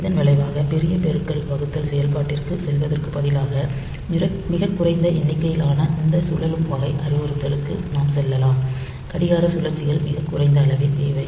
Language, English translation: Tamil, And as a result, instead of going for costly multiplication division operation, so we can go for this rotate type of instruction with much less number of clock cycles needed